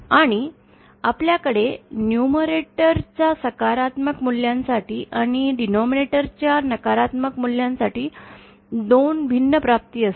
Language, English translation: Marathi, And we shall see that we have 2 different realisations for positive values of numerator and negative values of numerator